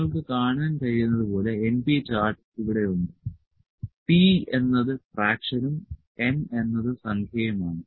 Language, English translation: Malayalam, As you can see the np chart is there, p was the fraction and n is the number